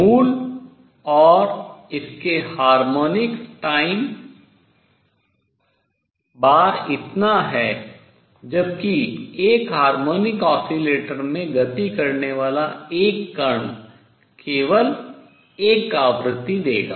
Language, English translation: Hindi, The fundamental and it is harmonics tau times that much where as a particle performing motion in a harmonic oscillator would give out only one frequency